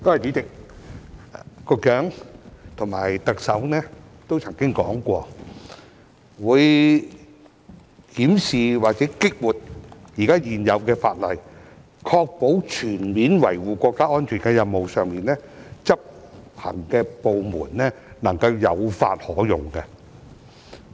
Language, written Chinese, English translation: Cantonese, 主席，局長和特首都曾經說過，會檢視或激活現有的法例，確保在全面維護國家安全的任務上，執行的部門能夠有法可用。, President the Secretary and the Chief Executive said that they would review or revive existing legislation to ensure that on the mission of comprehensively safeguarding national security relevant laws are available to the enforcement authorities for action